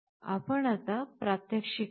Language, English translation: Marathi, Let us now see the demonstration